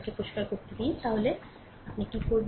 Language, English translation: Bengali, Let me clean it, then what you do